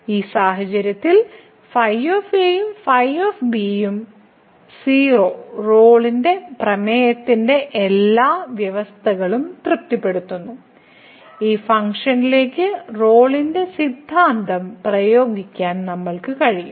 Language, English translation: Malayalam, So, in this case the is and is and satisfies all the conditions of the Rolle’s theorem and therefore, we can apply Rolle’s theorem to this function